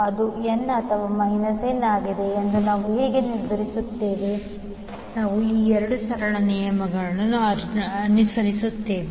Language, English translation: Kannada, How we will decide whether it will be n or minus n, we will follow these 2 simple rules